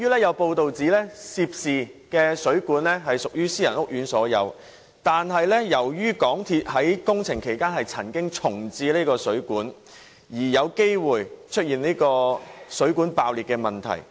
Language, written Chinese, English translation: Cantonese, 有報道指出，涉事的水管屬私人屋苑所有，但由於港鐵在工程其間曾經重置水管，因而有機會出現水管爆裂的問題。, As reported the water pipe in question belongs to the private housing estate but it was reprovisioned during the construction period by MTRCL and is therefore liable to cracking